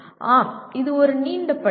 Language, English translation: Tamil, Yes, this is a long list